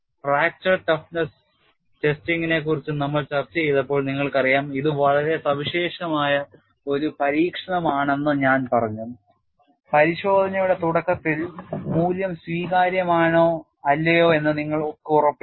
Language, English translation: Malayalam, You know while we discussed fracture stiffness testing, I also said this is very unique type of test you are not guaranteed at the start of the test whether the value would be acceptable or not